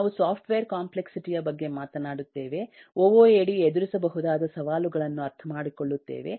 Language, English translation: Kannada, we will talk about software complexity, understanding the challenges that eh OOaD can address